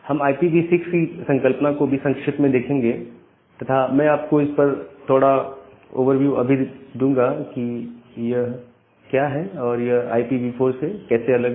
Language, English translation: Hindi, And we look into the concept of IP version 6 in brief, and give you a little bit overview about what a IPv6 is and how it is different from this IPv4 addresses